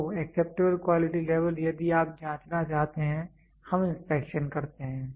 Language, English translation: Hindi, So, acceptable quantity level if you want to check we do inspections